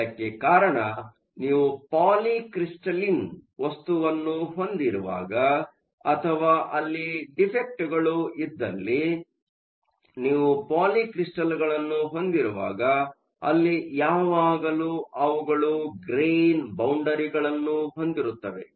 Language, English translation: Kannada, This is because, whenever you have polycrystalline material or if you have defects, so whenever you have polycrystals, you always have grain boundaries